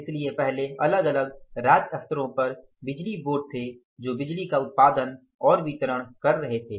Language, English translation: Hindi, So, earlier there were the power boards at the different state levels who were generating and distributing the power